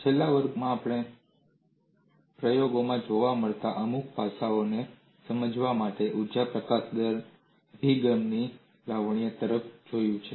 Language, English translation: Gujarati, In the last class, we have looked at the elegance of energy release rate approach to explain certain aspects that is seen in the experiments